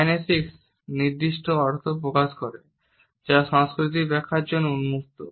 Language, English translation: Bengali, Kinesics conveys specific meanings that are open to cultural interpretation